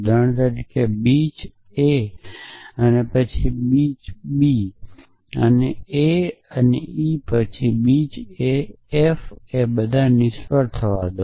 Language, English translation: Gujarati, So, for example, a beach and a and b then beach and a and e then beach and a and f and let say all fail